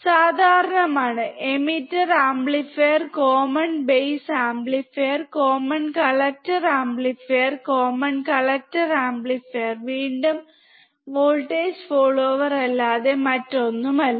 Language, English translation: Malayalam, Common emitter amplifier, common base amplifier, common collector amplifier, right, Common collector amplifier is nothing but voltage follower again